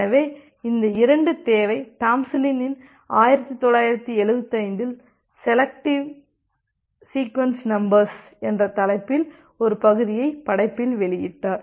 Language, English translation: Tamil, So, this 2 requirement was published by Tomlinson in 1975 in a part breaking work titled “Selecting Sequence Numbers”